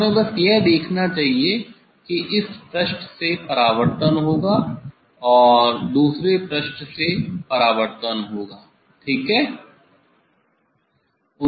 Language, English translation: Hindi, We should do we should just look there will be reflection from this face and there will be reflection from the other face ok